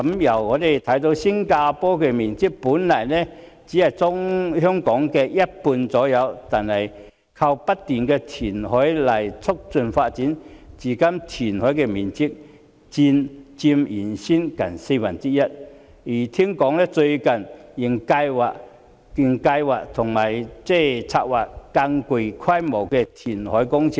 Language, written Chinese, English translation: Cantonese, 我們看到新加坡的面積本來只是約為香港的一半，而新加坡正正是透過不斷的填海來促進發展，至今填海的面積佔原先面積近四分之一，聽說最近仍在策劃更具規模的填海工程。, We have seen that while Singapore was originally just half as large as Hong Kong in size they have precisely carried out ongoing reclamation works to facilitate their development . So far the reclaimed area already accounts for nearly a quarter of the original area and I heard that lately they are still making plans for more extensive reclamation projects